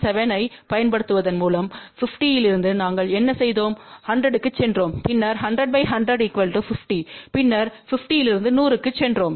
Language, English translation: Tamil, 7 what we have did from 50 we went to 100, then 100 in parallel with 100 is 50 then from 50 we went to 100